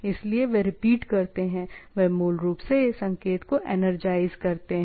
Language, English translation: Hindi, So, they repeats, they basically energize the signal, right